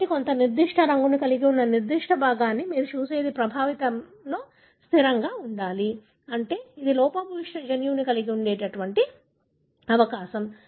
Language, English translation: Telugu, So, what you have looked at that particular piece having a particular colour should invariably present in the affected that means that is the piece that possible is likely to have the defective gene